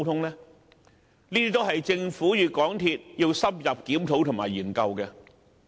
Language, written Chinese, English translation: Cantonese, 這些都是政府與港鐵公司需要深入檢討和研究的問題。, These are the issues that the Government and MTRCL have to thoroughly review and consider